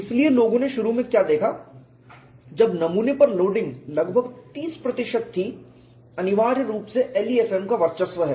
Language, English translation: Hindi, So, what people initially looked at was when the loading on the specimen is about 30 percent, it is essentially dominated by LEFM